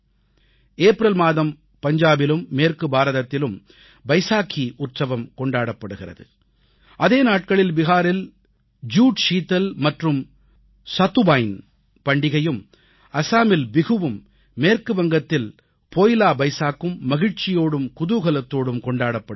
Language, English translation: Tamil, Vaisakhi will be celebrated in Punjab and in parts of western India in April; simultaneously, the twin festive connects of Jud Sheetal and Satuwain in Bihar, and Poila Vaisakh in West Bengal will envelop everyone with joy and delight